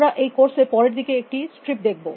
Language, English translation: Bengali, We will see, a strips later in this course